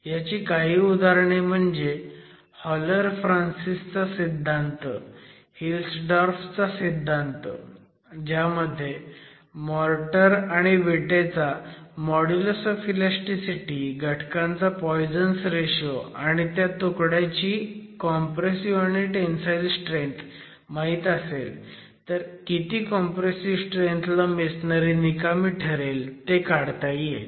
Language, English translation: Marathi, The example that I can give you here is the HoloFrances theory that we have seen earlier, the Hilstorff theory that we have seen earlier where the modulus of elasticity of the motor, models of the elasticity of the brick, poisons ratio of the constituents, and tensile strength of the unit and the compression strength of the unit known, you will be able to establish what is the failure strength of the masonry in compression